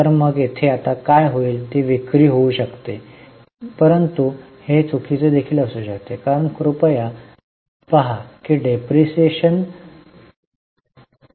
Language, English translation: Marathi, There could be sale but it can be wrong also because please look there is a depreciation